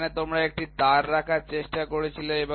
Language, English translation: Bengali, So, here you tried to keep one wire